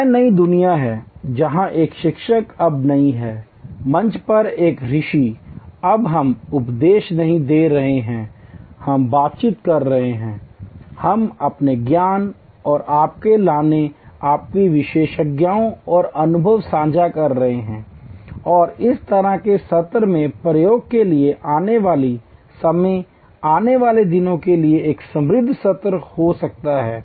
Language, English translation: Hindi, This is the new world, where a teacher is no longer, a sage on the stage, we are no longer preaching, we are interacting, we are sharing our knowledge and your bringing, your expertise and experience and in the process each such session for times to come, for days to come can be an enriched session